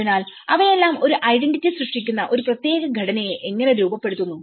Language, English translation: Malayalam, So, all these makes how they gives shape certain structure that create an identity